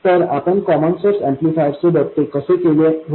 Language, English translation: Marathi, So how did we do that with the common source amplifier